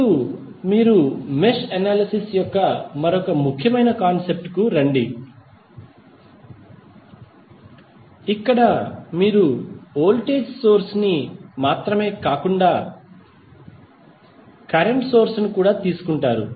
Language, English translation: Telugu, Now, let us come to another important concept of mesh analysis where you have the source is not simply of voltage source here source is the current source